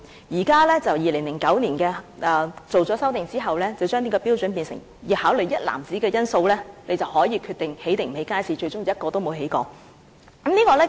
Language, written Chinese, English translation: Cantonese, 現時，在2009年修訂這項標準後，便變成須考慮一籃子因素，才可以決定是否興建街市，但最終卻是一個也沒有興建。, At present after the revision of these standards in 2009 a host of factors has to be considered before a decision can be made on whether or not to build markets but in the end not a single market has been built